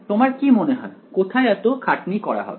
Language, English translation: Bengali, Where do you think a hard work happens